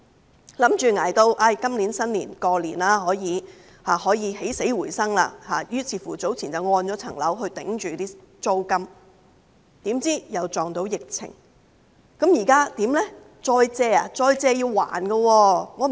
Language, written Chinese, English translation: Cantonese, 他們以為捱到今年農曆新年，便可以起死回生，於是早前把物業抵押以支付租金，誰料又遇上疫情，現在怎麼辦呢？, Therefore earlier on they mortgaged their properties to pay the rent . Yet the epidemic came out of the blue . Now what can they do?